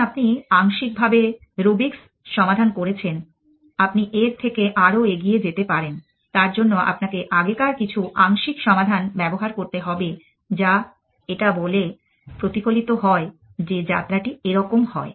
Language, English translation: Bengali, When, you have partially solve the rubrics you many mode to move further from their you have to disrupts some of the earlier partial solution that is reflect by saying that the journey is like this